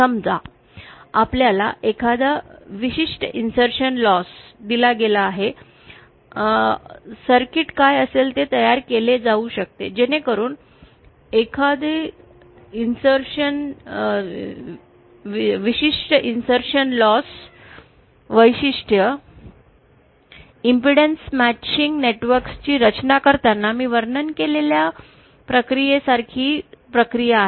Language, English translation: Marathi, Suppose we are given a certain insertion loss, what circuit can be realised, can be designed so that a particular insertion loss characteristic isÉ The procedure is very similar to the procedure that I had described while designing impedance matching networks